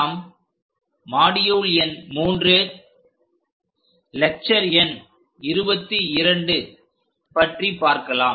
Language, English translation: Tamil, We are in module number 3, lecture number 22